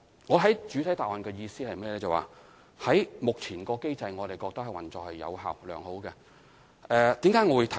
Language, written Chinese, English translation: Cantonese, 我在主體答覆的意思是，我們認為目前的機制運作有效、良好。, What I mean in the main reply is that we consider that the existing mechanism has been operating effectively and smoothly